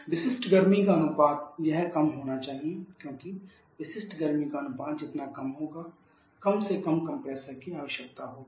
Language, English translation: Hindi, Ratio of specific it should be low because the lower the ratio of the specific heat the less will be the compressor work requirement